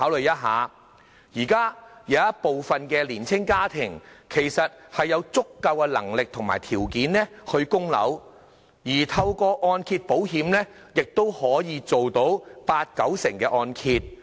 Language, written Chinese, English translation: Cantonese, 現時有部分年青家庭其實有足夠的能力和條件供樓，而透過按揭保險亦可以承造八九成按揭。, At present some young families do have sufficient means to service a mortgage and 80 % or 90 % mortgage loans are available through mortgage insurance